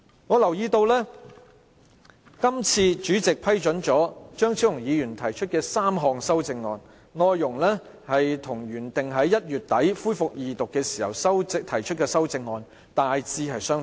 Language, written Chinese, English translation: Cantonese, 我留意到，主席批准張超雄議員提出的3項修正案，內容與《條例草案》原定於1月底恢復二讀時，他提出的修正案大致相同。, I notice that the contents of the three amendments that the President allowed Dr Fernando CHEUNG to propose are largely the same as those he intended to propose when the Bill was scheduled to resume its Second Reading at the end of January